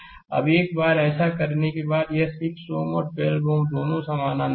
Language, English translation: Hindi, Now, once you have done this then this 6 ohm and 12 ohm both are in parallel